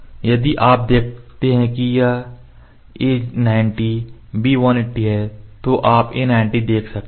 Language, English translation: Hindi, If you see this is a 90 b 180 you can see a 90 a 90 here b 180 a 90 b 180 we click yes